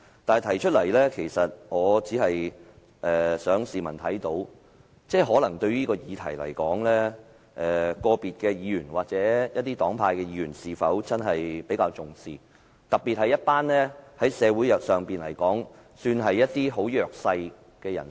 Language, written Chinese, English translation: Cantonese, 我提出來的目的，只想市民看到，個別議員或一些黨派的議員對這議題是否真的比較重視，特別是社會上比較弱勢的一群人。, I mention this phenomenon because I wish to show to the public that whether individual Members or Members of certain political parties actually attach importance to this issue in particular the issue pertaining to socially disadvantaged groups in our society